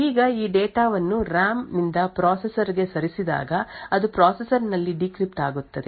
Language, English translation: Kannada, Now when this data is moved from the RAM to the processor it gets decrypted within the processor